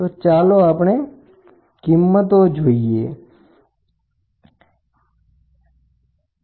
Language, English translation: Gujarati, So, let us put the values, this is 101